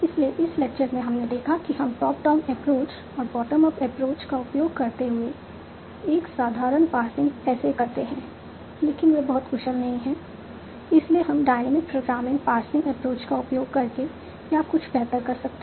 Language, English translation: Hindi, So in this lecture we had seen that how do we do a simple passing using top down approach and bottom of approach but they are not very efficient so can we do a simple passing using top down approach and bottom up approach, but they are not very efficient